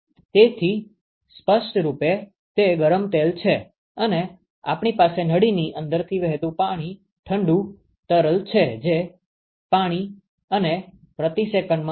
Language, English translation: Gujarati, So, clearly that is the hot fluid and we have cold fluid which is flowing through the inside of the tube which is water and flowing at 0